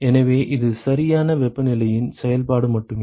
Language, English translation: Tamil, So, this is only a function of temperature correct